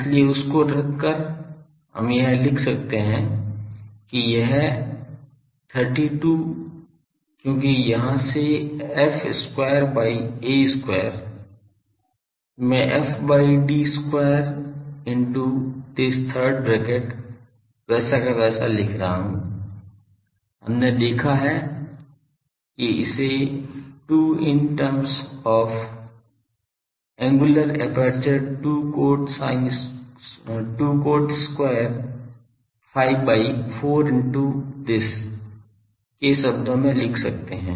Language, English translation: Hindi, So, putting that we can write that this 32 because f square by a square from here I can write f by d square into this third bracket as it is and that f by d ratio we have seen that that can be written as 2 in terms of the angular aperture 2 cot square phi by 4 into this